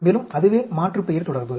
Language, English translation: Tamil, Also that is the aliasing relationship